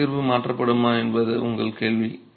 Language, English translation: Tamil, Your question is whether load distribution would be changed